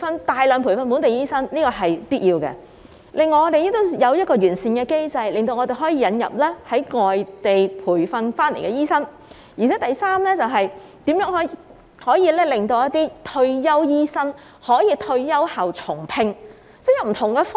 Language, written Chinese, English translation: Cantonese, 大量培訓本地醫生是必要的，另外還要有一個完善的機制，令我們可以引入外地培訓醫生；第三，是如何令一些退休醫生在退休後重新聘用。, It is necessary to train a large number of local doctors . Moreover a sound mechanism should be put in place for importing non - locally trained doctors . Thirdly the authorities should identify ways to rehire retired doctors